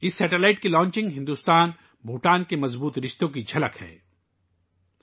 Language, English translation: Urdu, The launching of this satellite is a reflection of the strong IndoBhutan relations